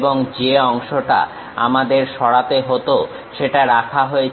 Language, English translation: Bengali, And, the portion what we have to remove is retain that